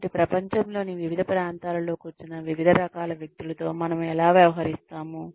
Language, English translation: Telugu, So, how do we deal with a variety of people, who are sitting in different parts of the world